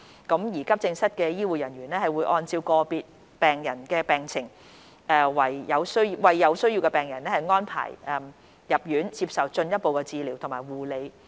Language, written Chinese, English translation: Cantonese, 急症室的醫護人員會按照個別病人的病情為有需要的病人安排入院接受進一步治療和護理。, Healthcare staff of AE departments would arrange admission of patients for further treatment and care according to their individual conditions as necessary